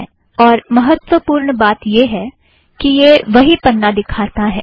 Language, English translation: Hindi, More importantly, it shows the same page